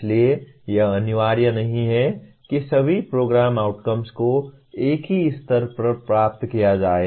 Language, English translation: Hindi, So it is not mandatory that all program outcomes have to be attained to the same level